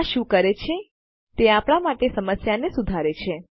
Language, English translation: Gujarati, What this does is, it fixes this problem for us